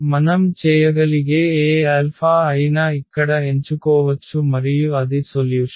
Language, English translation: Telugu, So, any alpha we can we can choose of course, here and that is the solution